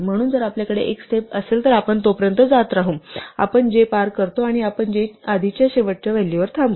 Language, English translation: Marathi, So, if we have a step then we will keep going until we cross j and we will stop at the last value that is before j